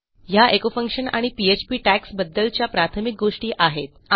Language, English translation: Marathi, Okay, thats the basics of the echo function and the PHP tags